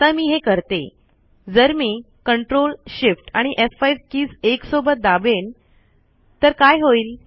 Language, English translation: Marathi, So if I click ctrl, shift, f5 keys simultaneously, what will happen